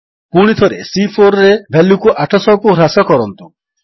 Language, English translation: Odia, Again, lets decrease the value in cell C4 to 800